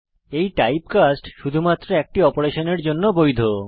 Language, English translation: Bengali, This typecast is valid for one single operation only